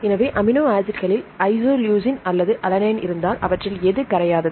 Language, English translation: Tamil, So, far if you have the amino acids isoleucine or alanine which one is more insoluble